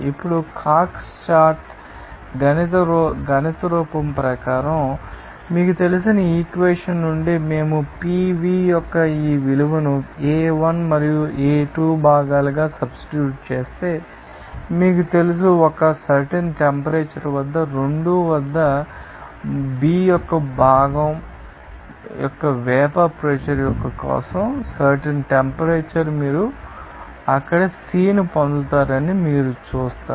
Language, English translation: Telugu, Now, from the equation here you know as per Cox chart mathematical form, we can say that, if we substitute this value of Pv for the components A1 and A2 you know that at 2 at a particular temperature even for vapor pressure of component B at that particular temperature you will see that you will get that C there